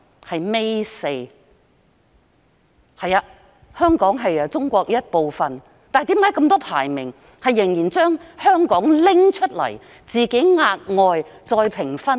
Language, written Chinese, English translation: Cantonese, 的確，香港是中國的一部分，但為何那麼多項排名仍然把香港劃分出來，額外評分呢？, Hong Kong is in fact part of China but why is it still separately graded in a number of rankings?